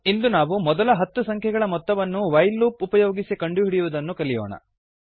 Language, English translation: Kannada, Today we are going to learn addition of first 10 numbers using while loop